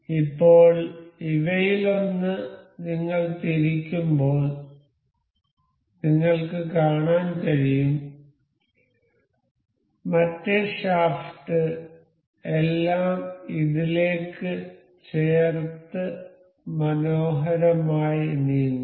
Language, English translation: Malayalam, So, now, you can see as we rotate one of these the other shaft is all coupled to it and moves in a nicely nice way